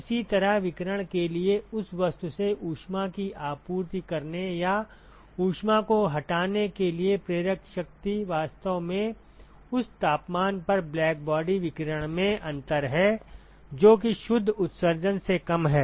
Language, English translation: Hindi, Similarly for radiation the driving force for supplying heat or removing heat from that object is actually the difference in the blackbody radiation at that temperature minus the net emission